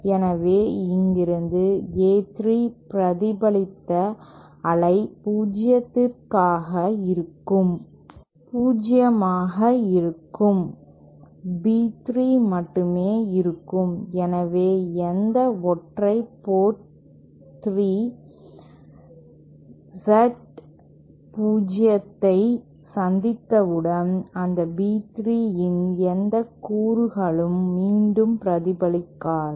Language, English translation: Tamil, So, since here the A3 reflected wave will be 0 and only B3 willÉ So, any single reaching port 3, once it encounters Z0, it will not be, no component of that B3 will be reflected back